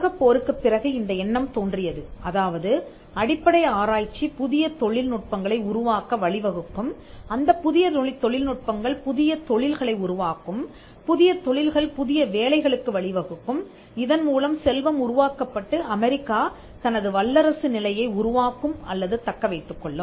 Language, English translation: Tamil, Now, soon after the world war it was felt that basic research would lead to creation of new technologies and the creation of new technologies would lead to new industries and new industries would lead to new jobs, thereby creation of wealth and eventually US becoming or maintaining its role as a superpower